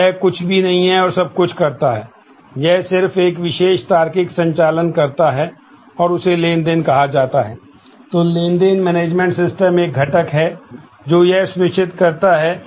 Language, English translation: Hindi, So, it does not do anything and everything, it just does a single particular logical operation and that is what forms the transaction